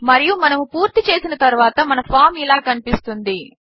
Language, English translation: Telugu, And once we are done with our design, this is how our form will look like